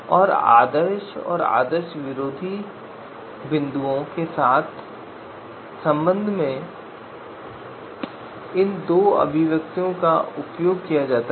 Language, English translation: Hindi, So with respect to ideal and anti ideal points so we can use these two you know expressions